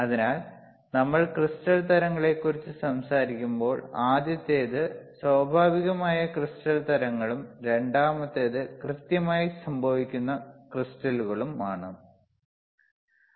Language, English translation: Malayalam, So, when we talk about crystal types, what a one first one is naturally occurring crystal types right, naturally occurring and second one is synthetically occurring crystals one is naturally occurring second is synthetically occurring